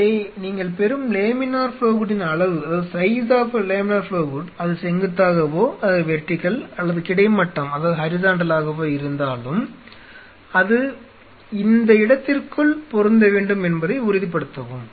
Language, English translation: Tamil, So, please ensure whatever size of a laminar flow hood you are getting, where this a vertical or horizontal it should match into the space